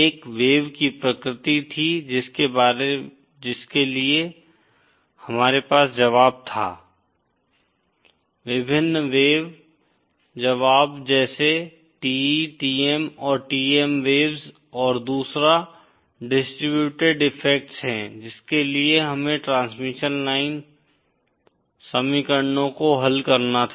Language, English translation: Hindi, One was the wave nature for which we had the solutions, various wave solutions like like the TE, TM and TEM waves and the other is the distributed effects for which we had to solve the transmission line equations